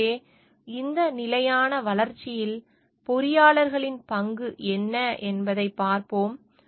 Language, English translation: Tamil, So, in this context, we will discuss the role of engineers in sustainable development